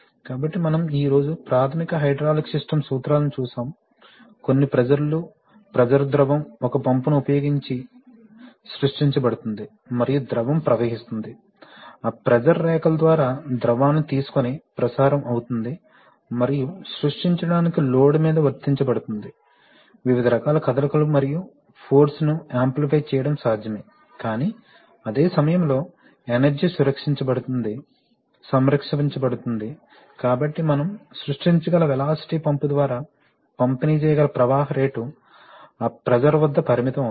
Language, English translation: Telugu, So we have, today we have seen the basic hydraulic system principles, that some pressures, pressured fluid is created using a pump and that fluid flows through the, that pressure is transmitted by taking the fluid through lines and is applied on the load to create various kinds of motion and we see that it is, it is possible to amplify force but at the same time, energy is conserved, so therefore the velocity that we are we can create gets limited by the flow rate that can be delivered by the pump at that pressure